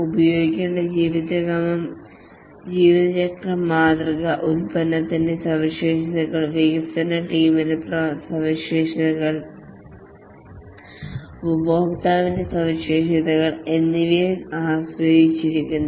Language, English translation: Malayalam, The lifecycle model to be used depends on both the characteristics of the product, the characteristics of the development team and also the characteristics of the customer